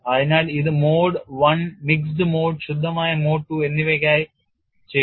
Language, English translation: Malayalam, So, they it is done for mode one, mixed mode as well as pure mode